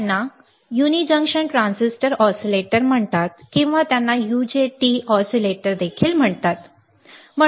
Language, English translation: Marathi, They are called uni junction transistor oscillators or they are also called UJT oscillators, all right